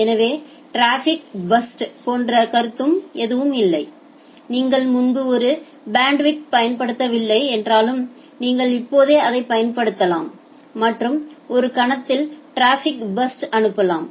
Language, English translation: Tamil, So, there is no such concept of traffic burst that even if you have not utilized a bandwidth previously, you can utilize it right now and send a burst of traffic at a moment